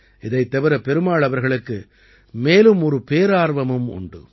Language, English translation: Tamil, Apart from this, Perumal Ji also has another passion